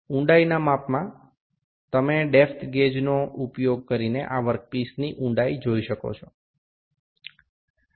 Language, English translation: Gujarati, In depth measurement, you can see the depth of this work piece using the depth gauge